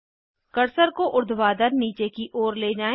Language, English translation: Hindi, Move the cursor vertically downwards